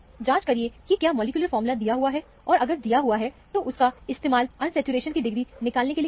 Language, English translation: Hindi, Check whether the molecular formula is given; if it is given, use it to find the degree of unsaturation